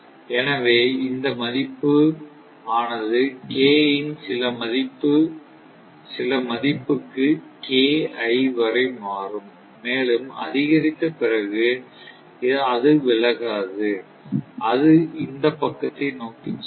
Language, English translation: Tamil, So, this value will shift for some value of K up to certain values of KI after that, further increase it will not move away, it will go toward this side